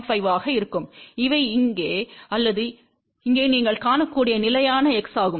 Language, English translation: Tamil, 5 and these are the constant x as you can see here or here